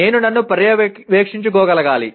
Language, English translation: Telugu, That I should be able to monitor myself